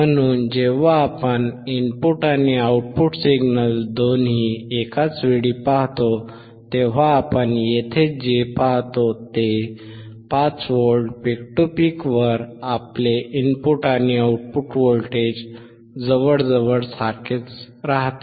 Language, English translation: Marathi, So, when we see both input and output signals simultaneously, what we observe here is at 5V peak to peak, your input and output voltage remains almost same